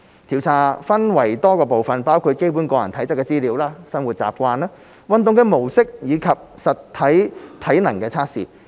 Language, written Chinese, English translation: Cantonese, 調查分為多個部分，包括基本個人體質資料、生活習慣，運動模式及實體體能測試。, The survey is divided into a number of parts including basic information on a persons physical fitness lifestyle habits exercise patterns and physical fitness tests